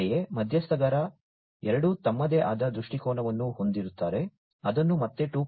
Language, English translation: Kannada, Similarly, stakeholder 2 would have their own viewpoint, which could be again classified as 2